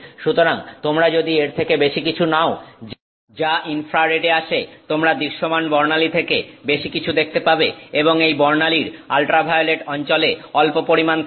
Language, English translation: Bengali, So if you take the more than that is coming in the infrared more than what you see in the visible spectrum and there is a tiny amount sitting in the ultraviolet range of this spectrum